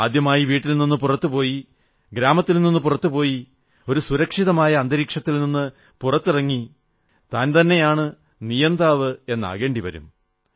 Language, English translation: Malayalam, Leaving home for the first time, moving out of one's village, coming out of a protective environment amounts to taking charge of the course of one's life